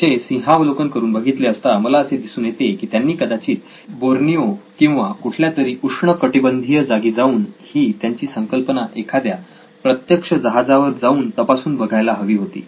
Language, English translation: Marathi, To me in hindsight looks like he should have gone to Borneo or some tropical place and tested his idea and on a real ship